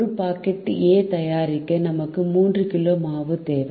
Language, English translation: Tamil, to make one packet of a, we need three kg of flour